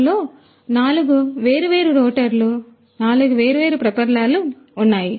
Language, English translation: Telugu, So, which has four different rotors, four different propellers right so, there are four ones